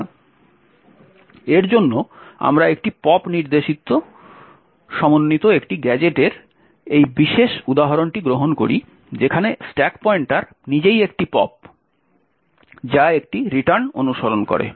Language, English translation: Bengali, So, for this we take this particular example of a gadget comprising of a pop instruction which is a pop to the stack pointer itself followed by a return